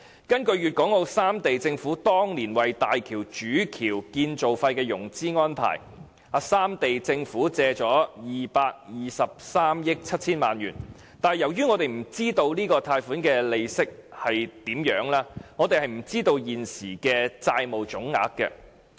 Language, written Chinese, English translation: Cantonese, 根據粵港澳三地政府當年為大橋主橋建造費作出的融資安排，三地政府共借貸223億 7,000 萬元，但由於我們不知道這筆貸款的利息是多少，我們無從得知現時的債務總額。, According to the financing arrangements of the governments of the three regions of Guangdong Hong Kong and Macao for the Main Bridge of HZMB the three governments have raised loans of RMB22.37 billion . As we do not know anything about the interest we have no idea about how much the debt amounts to now